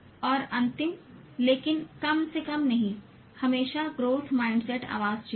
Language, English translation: Hindi, And last but not the least, always choose the growth mindset voice